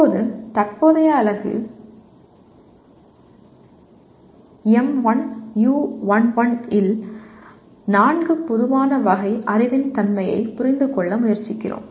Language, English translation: Tamil, Now, in present unit M1U11 we are trying to understand the nature of four general categories of knowledge